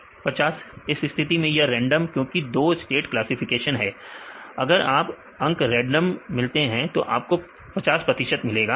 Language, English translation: Hindi, 50; so, in this case it is a just random because two states classification, randomly if you get the values you will get 50 percent right this is completely